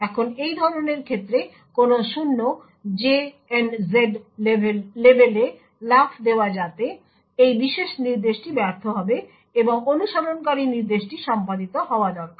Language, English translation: Bengali, Now in such a case jump on no 0 label so this particular instruction would fail and the instruction that follows needs to be executed